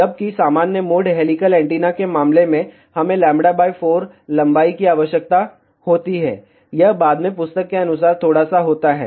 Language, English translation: Hindi, Whereas, in case of normal mode helical antenna, we need a lambda by 4 length, this is according to the book little bit later on